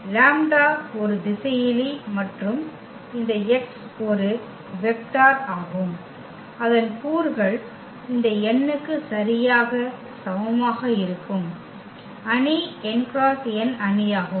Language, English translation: Tamil, The lambda is a scalar and this x is a vector whose components will be exactly equal to this n, if the matrix is n cross n matrix